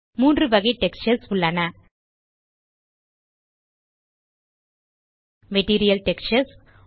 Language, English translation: Tamil, There are three types of textures Material Textures